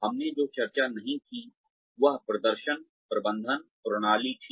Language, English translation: Hindi, What we did not discuss, was the performance management system